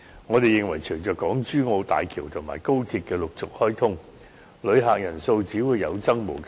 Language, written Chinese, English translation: Cantonese, 我們認為隨着港珠澳大橋及高鐵的陸續開通，旅客人數只會有增無減。, We believe that with the opening of the Hong Kong - Zhuhai - Macao Bridge and the Express Rail Link the number of visitor arrivals will continue to rise